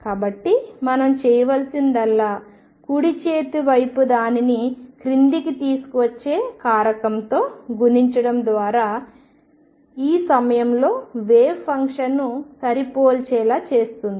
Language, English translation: Telugu, So, what we need to do is multiply the right hand side to the factor that brings it down makes the wave function match at this point